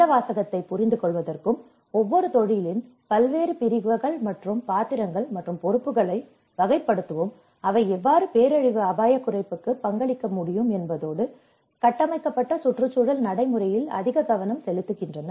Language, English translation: Tamil, So, this is where to understand this jargon and to classify various categories and roles and responsibilities of each profession and how they can contribute to the disaster risk reduction and more focused into the built environment practice